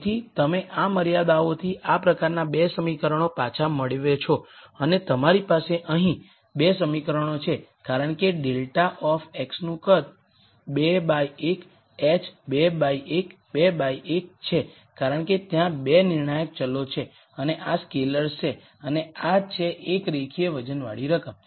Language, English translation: Gujarati, So, you kind of back out these 2 equations from this constraint and you have 2 equations here because grad of x is of size 2 by 1 h is 2 by 1 2 by 1 because there are 2 decision variables and these are scalars and this is a linear weighted sum